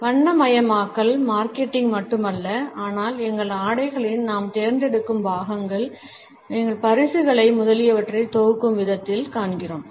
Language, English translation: Tamil, Colors are not only important for marketing, but we find that in our clothing, in our choice of accessories, in the way we package our gifts etcetera